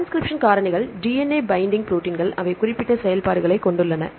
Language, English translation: Tamil, Transcription factors are DNA binding proteins right they have specific functions